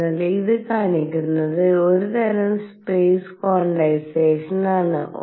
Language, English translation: Malayalam, So, what this is showing is some sort of space quantization